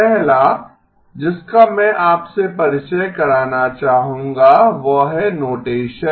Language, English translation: Hindi, The first one I would like to introduce to you is notation